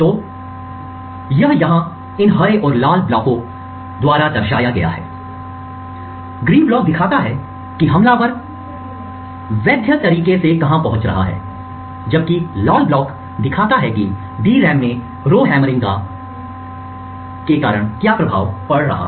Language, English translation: Hindi, So this is represented here by these green and red blocks, the green block show what the attacker is legally accessing, while the red block show what show the effect of falls induced due to the Rowhammering of the DRAM